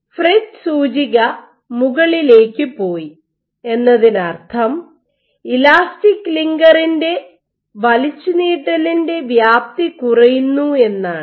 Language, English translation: Malayalam, So, the FRET index went up means that the extent of stretch of the elastic, linker, decreases